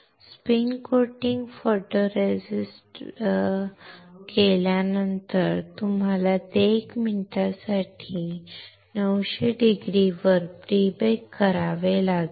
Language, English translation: Marathi, After spin coating photoresist you have to pre bake it at 900C for 1 minute